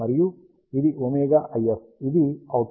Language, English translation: Telugu, And this is the omega IF, which is the output